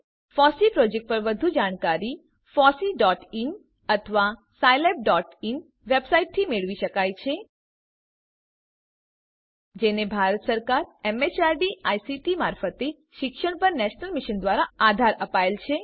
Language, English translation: Gujarati, More information on the FOSSEE project could be obtained from fossee.in or scilab.in Supported by the National Mission on Eduction through ICT, MHRD, Government of India